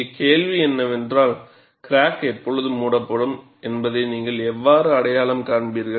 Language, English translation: Tamil, And the question here is, how will you identify when does the crack close and when does the crack opens